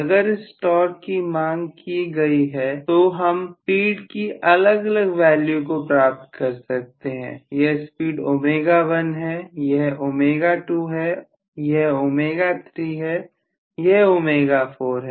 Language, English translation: Hindi, So if this is the torque demanded is should be able to get different values of speed maybe this is omega 1 this omega 2, this is omega 3, this is omega 4